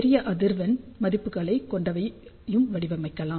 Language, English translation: Tamil, Of course, you can design for larger frequency values also ok